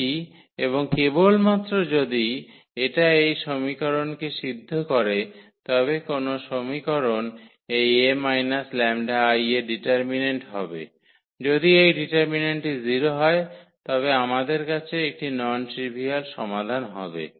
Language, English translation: Bengali, If and only if this satisfy the equation, which equation that the determinant of this A minus lambda I; if this determinant is 0 then we will have a non trivial solution